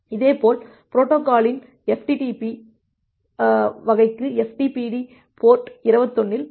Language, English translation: Tamil, Similarly, for ftpd type of the protocol the ftpd will start at port 21